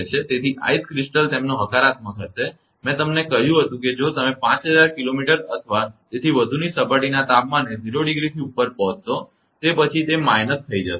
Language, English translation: Gujarati, So, ice crystal will be their positive I told you that if you reach 5000 kilometer or so, above the ground temperature of 0 degree and after that it become minus